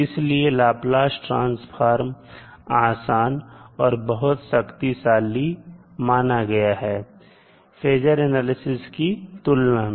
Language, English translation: Hindi, Now Laplace transform can be applied to a wider variety of inputs than the phasor analysis